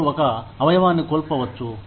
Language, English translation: Telugu, They may lose a limb